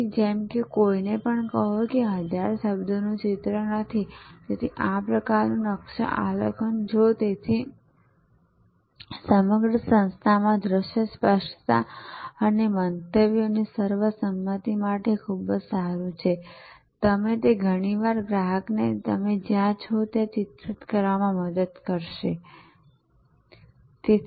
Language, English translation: Gujarati, So, as it says it to no one picture is what 1000 words, so this kind of mapping if therefore, very good for visual clarity and consensus of views across the organization and it often helps actually to portray to the customer, where you are